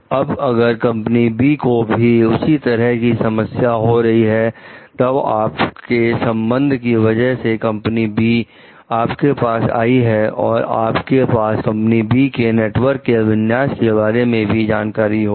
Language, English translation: Hindi, Now, if company B is having similar kind of problem then, because of your relationship of the come with company B, you may also have some knowledge about the configuration of like the company B s network